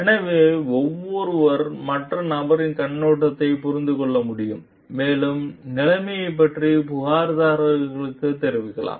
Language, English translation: Tamil, So that, each one can understand the other person s viewpoint and maybe like inform the complainants about the status